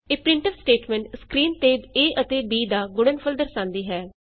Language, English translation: Punjabi, This printf statement displays the product of a and b on the screen